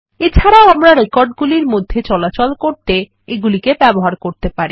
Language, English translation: Bengali, We also can use these to traverse through the records